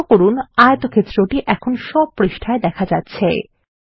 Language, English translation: Bengali, Notice, that the rectangle is also displayed in all the pages